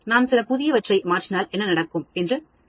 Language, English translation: Tamil, If I change some new conditions what will happen